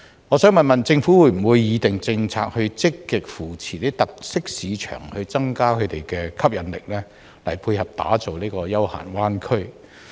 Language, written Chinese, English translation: Cantonese, 我想問政府會否擬訂政策，積極扶持一些特色市場，以增加它們的吸引力，並配合打造成休閒灣區的規劃？, I wish to ask the Government whether it will draw up any policy to actively support some characterful markets so that they will become more attractive and fit in with the plan of building a bay area for leisure?